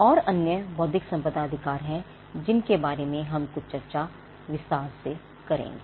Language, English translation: Hindi, And there are other intellectual property rights which we will discuss in some detail as we go by